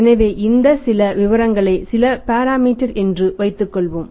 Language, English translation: Tamil, So, let us assume some some particulars here some parameters here